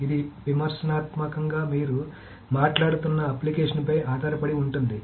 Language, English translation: Telugu, It depends very much critically on the application that it is talking about